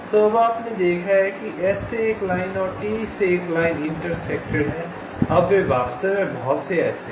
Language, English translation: Hindi, so now you have seen that that one line from s and one line from t has intersected